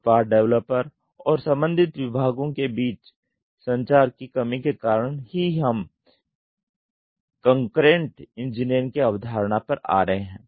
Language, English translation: Hindi, Lack of communication between product developer and the related departments this is why we are coming to the concept of concurrent engineering